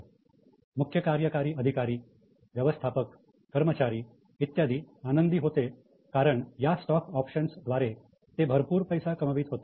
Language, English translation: Marathi, So CEOs, managers, employees, they were very happy because they were making lot of money from stock options